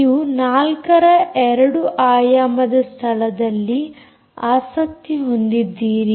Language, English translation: Kannada, you are interested in four s location, two dimensional location